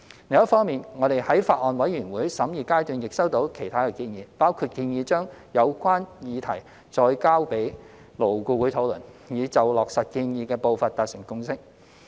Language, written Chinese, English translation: Cantonese, 另一方面，我們在法案委員會審議階段亦收到其他建議，包括建議將有關議題再交予勞工顧問委員會討論，以就落實建議的步伐達成共識。, On the other hand we have also received other suggestions during the deliberation of the Bills Committee . Some have suggested referring the concerned subject to the Labour Advisory Board LAB for further discussion with a view to reaching a consensus on the pace of achieving the alignment of SHs with GHs